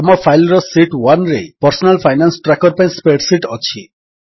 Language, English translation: Odia, The sheet 1 of our file contains the spreadsheet for Personal Finance Tracker